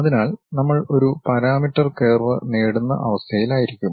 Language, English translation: Malayalam, So, that one will we will be in a position to get a parameter curve